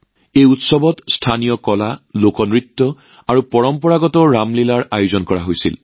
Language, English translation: Assamese, Local art, folk dance and traditional Ramlila were organized in this festival